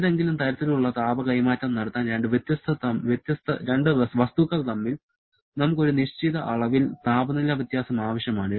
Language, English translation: Malayalam, And to have any kind of heat transfer, we need to have a certain amount of temperature difference between the two bodies